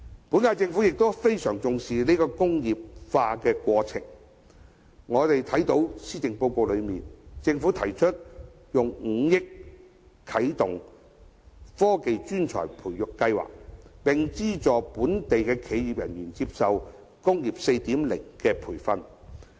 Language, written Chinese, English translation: Cantonese, 本屆政府亦非常重視再工業化的過程，我們從施政報告中看到，政府提出以5億元啟動科技專才培育計劃，並資助本地的企業人員接受"工業 4.0" 的培訓。, The incumbent Government attaches great importance to re - industrialization . As stated in the Policy Address the Government will launch a 500 million Technology Talent Scheme and subsidize the staff of local enterprises to receive the Industry 4.0 training